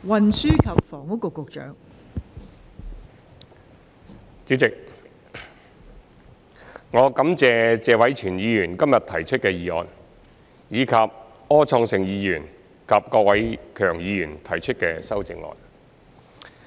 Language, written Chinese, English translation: Cantonese, 代理主席，我感謝謝偉銓議員今天提出的議案，以及柯創盛議員及郭偉强議員提出的修正案。, Deputy President I thank Mr Tony TSE for proposing the motion today and Mr Wilson OR and Mr KWOK Wai - keung for their amendments